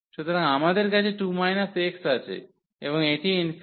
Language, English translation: Bengali, So, we have 2 minus x and this is infinity